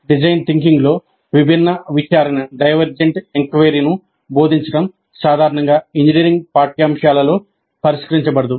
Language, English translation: Telugu, Teaching divergent inquiry in design thinking is generally not addressed in engineering curricula